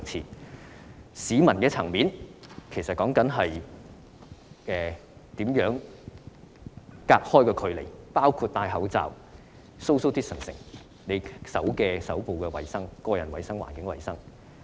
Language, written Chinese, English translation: Cantonese, 在市民的層面，應做到分隔距離，包括佩戴口罩、保持社交距離、手部衞生、個人衞生及環境衞生。, At the tier which involves members of the public separation and distancing should be implemented and such measures include wearing masks social distancing as well as performing hand hygiene personal hygiene and environmental hygiene